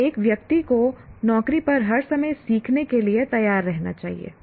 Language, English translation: Hindi, So one should be willing to learn and learn by yourself all the time on the job